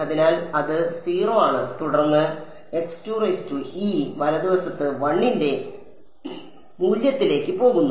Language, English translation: Malayalam, So, it is 0 at x 1 and then goes to a value of 1 at x 2 e right